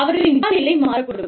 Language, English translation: Tamil, Their visa status, may change